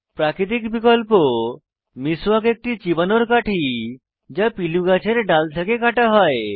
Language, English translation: Bengali, Natural alternative, Miswak is a chewing stick cut from a twig of the peelu tree